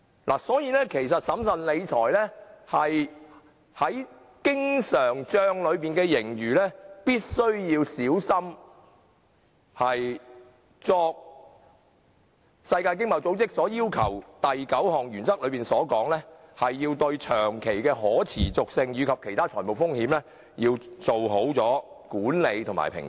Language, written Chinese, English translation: Cantonese, 因此，審慎理財是必須小心謹慎，令經常帳內的盈餘達致經濟合作與發展組織所訂第九項原則的要求，即對長期的可持續及其他財務風險作好管理和評估。, Therefore the Government needs to be careful in maintaining financial prudence so that the surplus in the current account can meet the requirement of the ninth principle formulated by OECD which is to assess and manage prudently longer - term sustainability and other fiscal risks